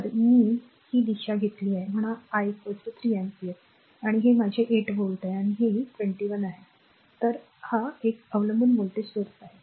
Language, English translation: Marathi, So, we have taking this direction say I is equal to 3 ampere and this is my 8 volt and this is your 2 I right this is dependent voltage source